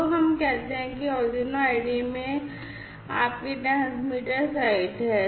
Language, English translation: Hindi, So, let us say that this is your transmitter site in the Arduino, you know, IDE